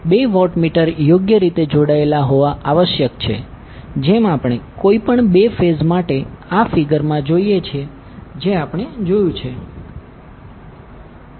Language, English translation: Gujarati, Two watt meters must be properly connected as we see in this figure for two any two phases which we have seen